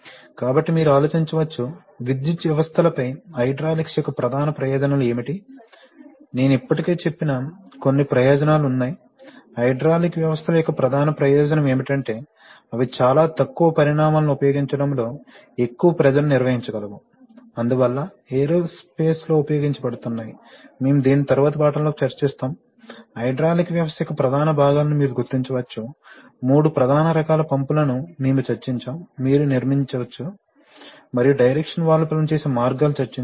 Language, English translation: Telugu, So you may ponder, what are the main advantages of hydraulics over electric systems, there are some advantages I have already told, the major advantage of hydraulic systems is that they can handle much more power at using much more low sizes, therefore prime importance and there are used in aerospace, we will discuss this in the next lesson, we have identify, you can identify the major components of hydraulic system, if you want to build one and three major types of pumps we have discussed it and what are the different ways in which directional valves may be operated